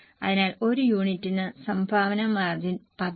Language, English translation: Malayalam, So, contribution margin is 10 per unit